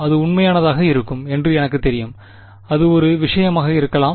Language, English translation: Tamil, When I know it is going to be real, that could be one thing